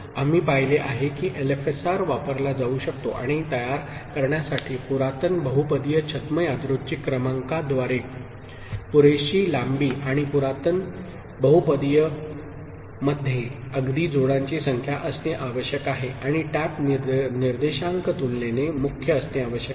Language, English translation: Marathi, We have seen that LFSR can be used and to generate through primitive polynomials pseudo random sequences of sufficiently long length and primitive poly polynomials need to have even number of pairs and tap indices need to be relatively prime